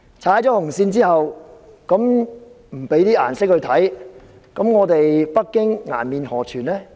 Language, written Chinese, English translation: Cantonese, 如果不給他一點顏色看看，北京顏面何存？, If he is not taught a lesson how can Beijing save its face?